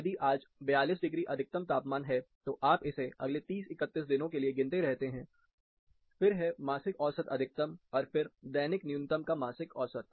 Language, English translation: Hindi, So, if today is 42 degree maximum, you keep counting it for the next 30, 31 days, then the monthly mean maximum, then the monthly mean daily minimum